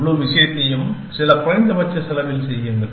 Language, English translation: Tamil, And do the whole thing with some minimum cost, in some manner essentially